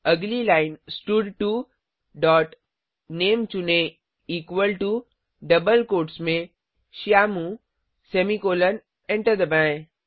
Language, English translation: Hindi, Next line stud2 dot select name equal to within double quotes Shyamu semicolon press enter